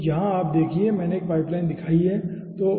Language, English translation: Hindi, so you see, here i have shown a pipeline